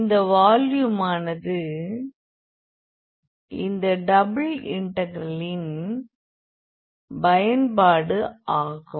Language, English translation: Tamil, So, that is the evaluation of this simple integral